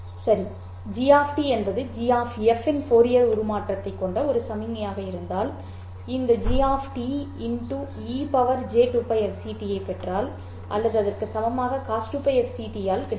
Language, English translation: Tamil, If G of T is a signal which has a Fourier transform of G of F, then if I multiply this G of T by E to the power J 2 pi FCT or equivalently by cost 2 pi FCT, so this is a real way, this is a complex way